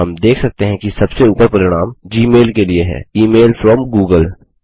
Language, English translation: Hindi, We see that the top result is for g mail, the email from google